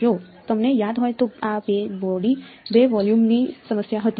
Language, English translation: Gujarati, If you remember this was the two body 2 volume problem